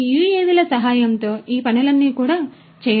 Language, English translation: Telugu, all these things can also be done with the help of these UAVs